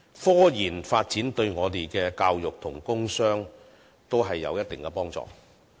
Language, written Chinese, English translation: Cantonese, 科研發展對我們的教育和工商均有一定的幫助。, Research and development in science and technology will have certain help to our education commerce and industry